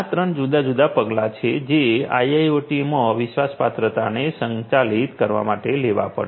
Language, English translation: Gujarati, These are the three different measures that will have to be taken in order to manage trustworthiness in IIoT